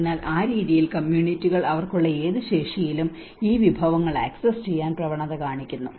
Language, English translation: Malayalam, So in that way communities tend to access these resources in whatever the capacities they have